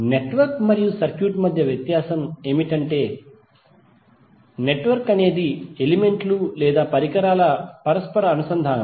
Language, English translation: Telugu, The difference between a network and circuit is that the network is and interconnection of elements or devices